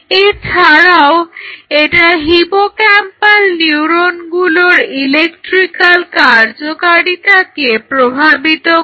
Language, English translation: Bengali, And it also influences the electrical activity of these hippocampal neurons